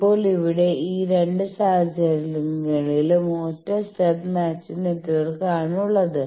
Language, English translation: Malayalam, Now, here in both these cases single stub matching network